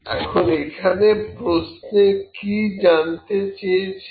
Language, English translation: Bengali, Now, what is the question asking